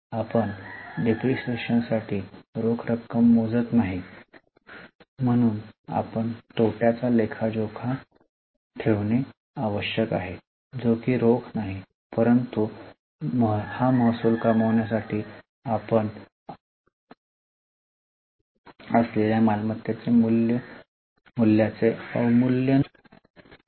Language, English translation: Marathi, So, it is necessary that though we are not paying for depreciation in cash, we should account for this loss which is not a cash loss but it is a loss of value of asset which is for generating this revenue